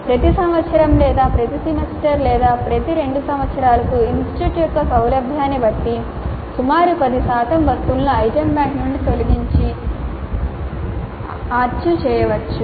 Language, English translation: Telugu, Every year or every semester or every two years depending upon the convenience of the institute, about 10% of the items can be archived, removed from the item bank and archived